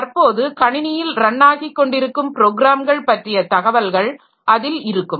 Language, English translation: Tamil, So, there we have got information about all the currently running programs that we have in the system